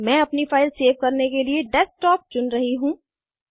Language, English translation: Hindi, I am choosing Desktop as the location for saving my file